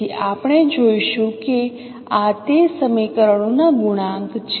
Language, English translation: Gujarati, So this is the expansion of this particular equation